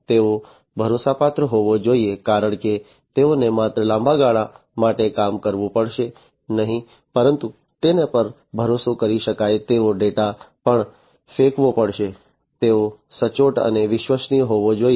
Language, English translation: Gujarati, And they have to be reliable, because not only they have to operate for long durations, but will also have to throw in data which can be relied upon; they have to be accurate and reliable